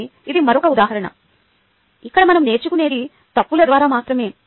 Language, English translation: Telugu, so these another example where it is only through mistakes that we learn